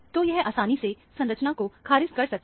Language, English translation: Hindi, So, this can be easily ruled out as a structure